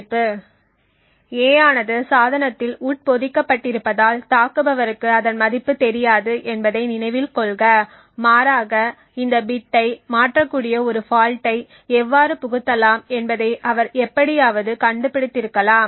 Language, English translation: Tamil, Note that he attacker has does not know the value of a because a is actually embedded into the device in the device but rather he somehow has figured out how to inject a fault that could potentially change this bit